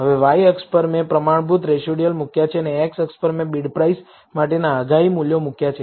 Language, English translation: Gujarati, Now, on the y axis, I have standardized residuals and on the x axis, I have predicted values for bid price